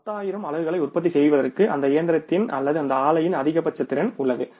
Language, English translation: Tamil, There is a maximum capacity of that machine or that plant for manufacturing that 10,000 units